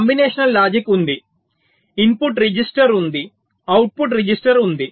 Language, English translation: Telugu, there is a combinational logic, there is a input register, there is a output register